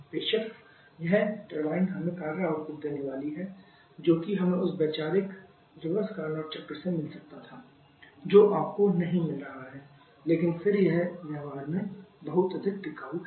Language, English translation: Hindi, Of course that turbine going to work output that we could have got from that conceptual reverse Carnot cycle that you are not getting but still it is much more during practice